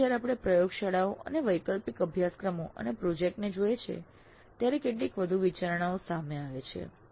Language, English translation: Gujarati, But when we look at laboratories and elective courses and project, certain additional considerations do come into picture